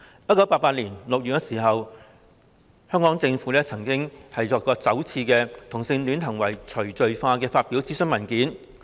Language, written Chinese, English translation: Cantonese, 1988年6月，香港政府首次發表有關"同性戀行為除罪化"的諮詢文件。, In June 1988 the Hong Kong Government unprecedentedly published a consultation paper on decriminalization of homosexual acts